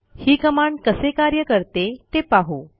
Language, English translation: Marathi, Let us see how the command is used